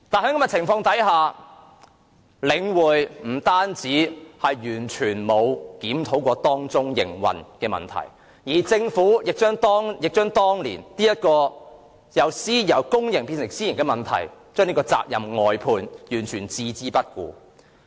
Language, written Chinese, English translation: Cantonese, 不過，在這種情況下，領匯完全沒有檢討其營運問題，政府亦將當年由公營變成私營的責任外判，對各項問題完全置之不理。, Despite the circumstances The Link REIT has never reviewed its operation and the Government has simply outsourced the responsibilities borne by the public sector then to the private sector and turned a blind eye to all the problems